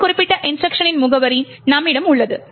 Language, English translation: Tamil, We have the address of this particular instruction